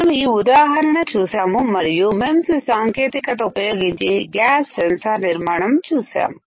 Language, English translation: Telugu, We have seen this example and we have also seen how to fabricate gas sensor using MEMS technology